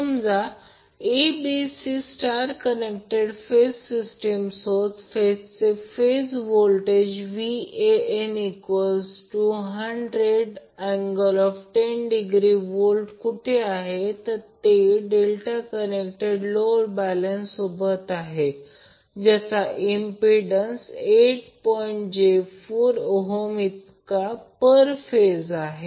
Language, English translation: Marathi, Suppose there is A, B, C phase sequence star connected source with the phase voltage Van equal to 100 angle 10 degree and it is connected to a delta connected balanced load with impedance 8 plus J 4 Ohm per phase